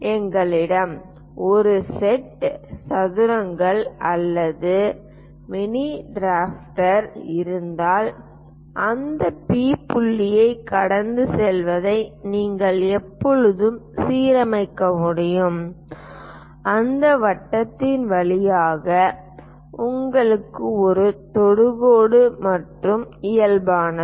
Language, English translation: Tamil, If you have a set squares or mini drafter you can always align normal to that passing through that P point gives you a tangent and this is normal through that circle, this is the way we construct it